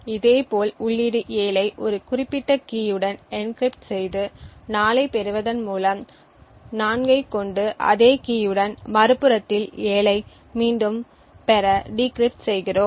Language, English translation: Tamil, In a similar way by taking the input 7 encrypting it with a specific key and obtaining 4 and at the other end when we have 4 we decrypt it with the same key to obtain back the 7